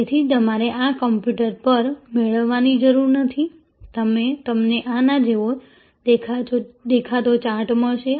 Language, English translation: Gujarati, So, you do not have to get this on the computer, you will get a charts something that looks like this